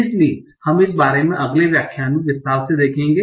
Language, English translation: Hindi, So we will look at this in detail in the next lecture